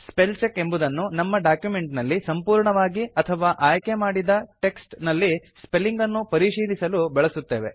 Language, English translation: Kannada, Spellcheck is used for checking the spelling mistakes in the entire document or the selected portion of text